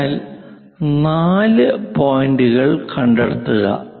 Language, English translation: Malayalam, So, locate that fourth point